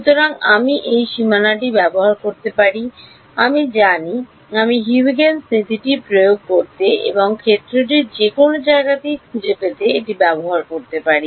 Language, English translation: Bengali, So, I can use this boundary I know I have calculated the fields over that I can use that to apply Huygens principle and find out the field anywhere that is one thing